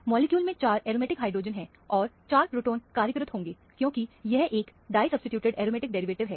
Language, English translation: Hindi, There are 4 aromatic hydrogen in the molecule and 4 protons will be employed, as it is a disubstituted aromatic derivative